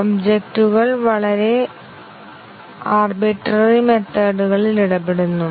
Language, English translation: Malayalam, The objects interact in a very arbitrary ways